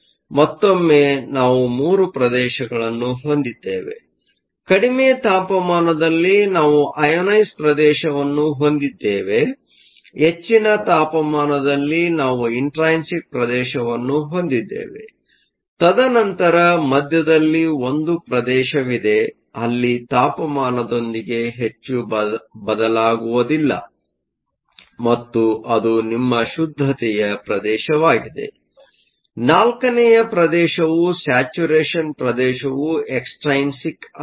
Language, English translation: Kannada, So, once again we have three regions; at low temperatures, we have an ionization region; at high temperatures, we have an intrinsic region; and then there is a region in the middle, where sigma does not change much with temperature and that is your saturation region; another four for the saturation region is your extrinsic region